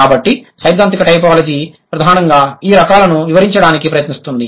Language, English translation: Telugu, So, theoretical typology primarily it attempts to have an explanation for the types